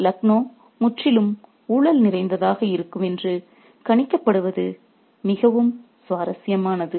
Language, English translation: Tamil, It's very interesting to see that Lucknow is projected as being completely corrupt